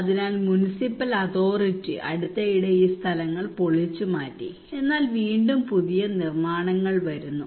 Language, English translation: Malayalam, So municipal authority actually demolished these places recently, but again new constructions are coming